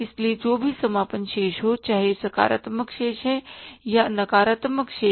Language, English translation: Hindi, So, whatever the closing balance, whether positive balance or negative balance